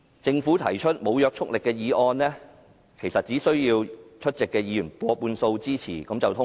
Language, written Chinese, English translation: Cantonese, 政府提出無約束力議案，其實只需要出席議員過半數支持便可通過。, In fact the non - binding motion moved by the Government only needs the endorsement of a majority of the Members present